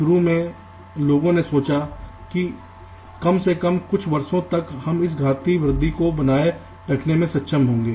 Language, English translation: Hindi, so initially people thought that well it was, find, at least for a few years, would be able to sustain this exponential growth